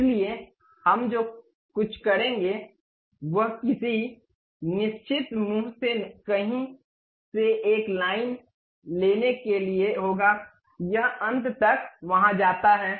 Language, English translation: Hindi, So, what we will do is pick a line from somewhere of certain mouth, it goes there all the way down end